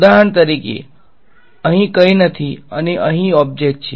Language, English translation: Gujarati, For example, here there is nothing and here there is the object right